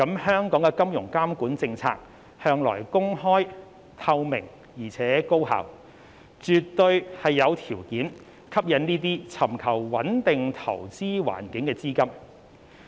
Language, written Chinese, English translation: Cantonese, 香港的金融監管政策向來公開、透明，而且高效，絕對有條件吸引這些尋求穩定投資環境的資金。, Our financial supervisory policies in Hong Kong have all along been open transparent and highly effective and we absolutely have the conditions to attract these capitals in pursuit of a stable environment for investment